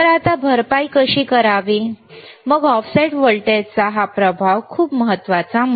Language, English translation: Marathi, Now, how to compensate then this effect of offset voltage very important point, very important ok